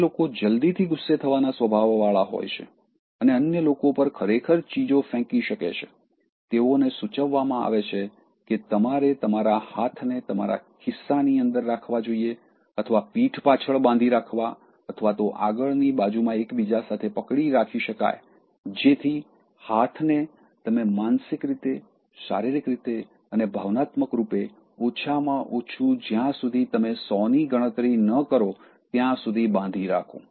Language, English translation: Gujarati, For those who are short tempered and likely to throw literally things on others, it is suggested that you should put your hands inside your pocket to keep them folded on the back or even clasped in the front, so that the hands are tied by you mentally, physically, emotionally, at least till you count 100